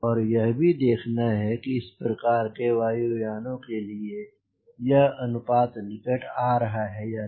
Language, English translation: Hindi, and i must see that for this type of aeroplane, whether this ratios coming closer or not